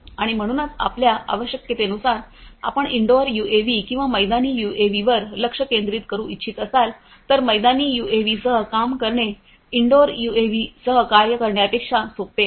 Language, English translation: Marathi, And you know so depending on your requirements you might want to focus on indoor UAVs or outdoor UAVs, working with outdoor UAVs is bit easier than working with indoor UAVs